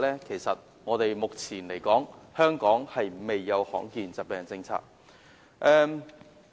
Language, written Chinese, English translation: Cantonese, 其實，目前香港尚未制訂罕見疾病政策。, In fact Hong Kong has yet to formulate a policy for rare diseases even now